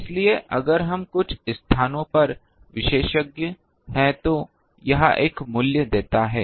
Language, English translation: Hindi, So, if we specialize in some places it gives a value